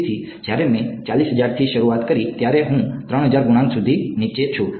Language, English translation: Gujarati, So, when I started from 40000, I am down to 3000 coefficients